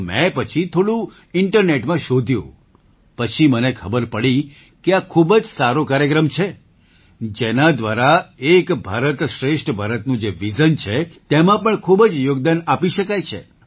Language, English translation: Gujarati, I again searched a little on the internet, and I came to know that this is a very good program, which could enable one to contribute a lot in the vision of Ek Bharat Shreshtha Bharat and I will get a chance to learn something new